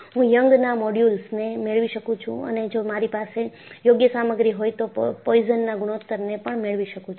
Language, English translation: Gujarati, I can get the Young's modulus and if I have an appropriate instrumentation, I can also get the Poisson’s ratio